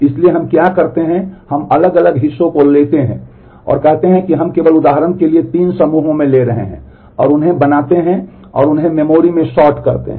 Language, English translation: Hindi, So, what we do we take different parts and say we are taking in groups of 3 just for illustration and make them and sort them in memory